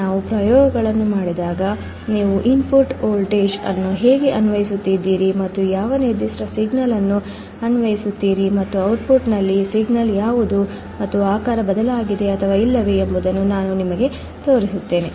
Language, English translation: Kannada, When we perform the experiments, I will show you how you are applying the input voltage and which particular signal is applied and what is the signal at the output and whether the shape has changed or not